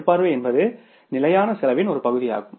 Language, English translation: Tamil, Supervision is largely the fixed cost